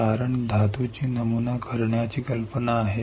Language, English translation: Marathi, Because the idea is to pattern the metal